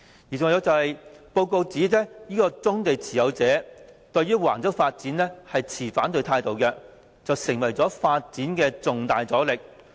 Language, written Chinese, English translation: Cantonese, 此外，研究報告指棕地持有者對橫洲發展持反對態度，成為發展的重大阻力。, In addition the Study Report pointed out that the objection of owners of brownfield sites to the Wang Chau project posed a major obstacle to the development